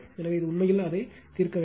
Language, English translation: Tamil, So, this is for you actually solve it